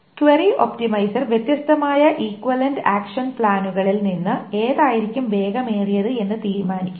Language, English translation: Malayalam, The query optimizer will decide out of the different equivalent action plans which one is going to be faster